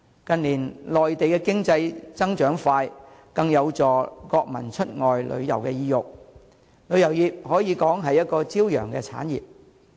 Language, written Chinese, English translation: Cantonese, 近年內地經濟增長快速，更增加國民出外旅遊意欲，旅遊業可說是朝陽產業。, The rapid economic growth in the Mainland in recent years has increased the desire of the nationals to travel abroad and tourism can be regarded as a sunrise industry